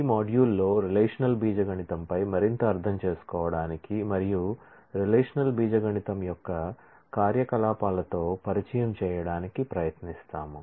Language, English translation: Telugu, In this module we, will try to understand more on the relational algebra and familiarize with the operations of relational algebra